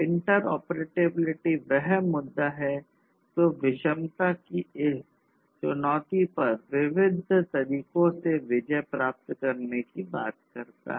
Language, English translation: Hindi, So, interoperability is this issue which talks about conquering this challenge of heterogeneity in all different respects